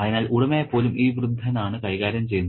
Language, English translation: Malayalam, So, even the owner is managed by this particular old man